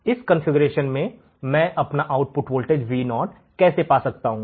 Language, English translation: Hindi, In this particular configuration, how can I find my output voltage Vo